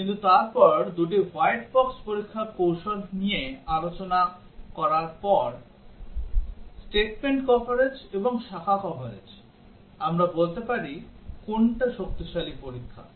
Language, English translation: Bengali, But then after discussing two white box testing strategies statement coverage and branch coverage, can we say which is stronger testing